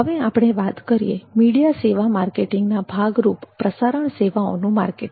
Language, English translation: Gujarati, next we go to broadcasting services marketing as part of media services marketing